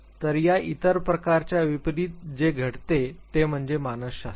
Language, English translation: Marathi, So, what happens unlike the other types of this is psychology or